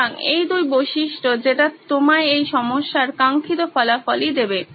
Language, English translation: Bengali, So, these are 2 criteria that will give you the desired result that you are seeking in this problem